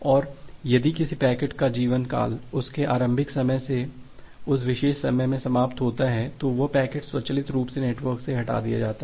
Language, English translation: Hindi, And if a packet expires that particular time from its originating time, then that packet is automatically dropped from the network